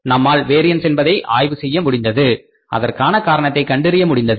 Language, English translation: Tamil, We could analyze the variance, we could find out the reason for that